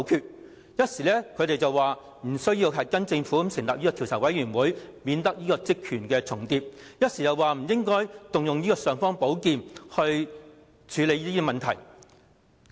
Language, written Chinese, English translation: Cantonese, 他們一時認為立法會無需跟從政府成立調查委員會，以免職權重疊，一時又說不應該動用這"尚方寶劍"來處理這些問題。, Some of the pro - establishment Members said the Legislative Councils following the footsteps of the Government to set up a select committee might lead to an overlap of powers . Some others thought it was unwise to use the imperial sword of the Council to deal with these problems